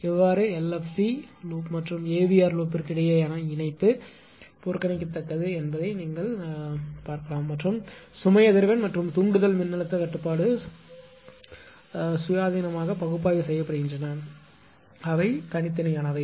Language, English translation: Tamil, There is the coupling between the LFC loop and the AVR loop is negligible better, you avoid this and the load frequency and excitation voltage control are analyzed independently they are separate right they are separate